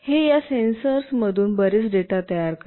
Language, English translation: Marathi, It generates data from these sensors, a lot of data